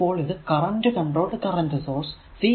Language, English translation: Malayalam, So, it is current controlled current source CCCS we call right